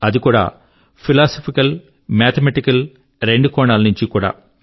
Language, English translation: Telugu, And he has explained it both from a philosophical as well as a mathematical standpoint